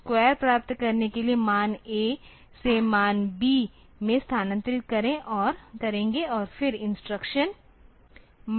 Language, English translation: Hindi, So, for getting the square, the value, the MOV, the value of MOV, the value of A to B and then use the instruction multiply A B